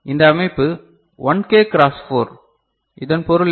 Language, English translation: Tamil, And this organization, 1K cross 4, what does it mean